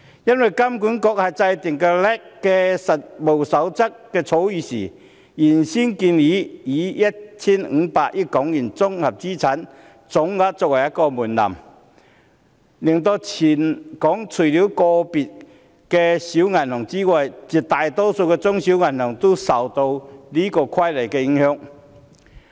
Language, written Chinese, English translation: Cantonese, 因為金管局在制訂 LAC 的《實務守則》草擬本時，原本建議以 1,500 億元綜合資產總額作為門檻，令全港除了個別的小型銀行外，絕大多數的中小型銀行也受到《規則》的影響。, When HKMA drafted the Code of Practice for LAC requirements it proposed to set the total consolidated asset threshold at 150 billion . The proposal will put almost all banks in Hong Kong except a few small banks under the regulation of the Rules